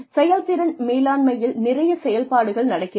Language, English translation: Tamil, Performance management has a lot going on